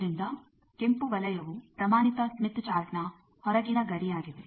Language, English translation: Kannada, So, red circle is the standard smith chart outer boundary